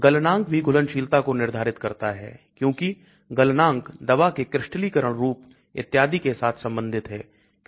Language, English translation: Hindi, Melting point also determines the solubility because melting point has relationship with crystalized form of the drug and so on